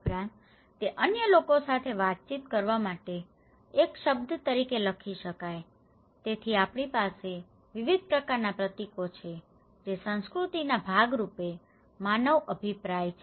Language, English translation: Gujarati, Also, it could be written as a word to communicate with others okay so, we have different kind of symbols that human views as a part of culture